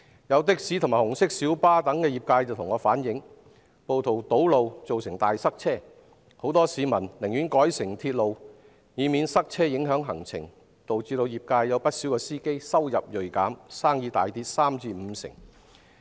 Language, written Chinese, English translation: Cantonese, 有的士和紅色小巴業者向我反映，暴徒堵路造成大塞車，很多市民為免影響行程，寧願改乘鐵路，導致不少業界司機收入銳減，生意大跌三至五成。, Some operators of taxis and public light buses have relayed to me that rioters are causing traffic jams . Many citizens have switched to the railways to avoid their schedules being affected . This has led to a 30 % to 50 % decline in the drivers income